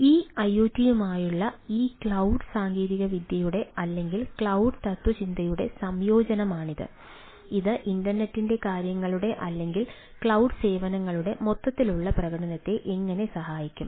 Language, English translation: Malayalam, so we like to see that ah, this iot cloud, that is, ah amalgamation of this cloud technology or cloud philosophy with this iot ah, how we it is likely to help the overall performance of this, this services of internet of things or cloud services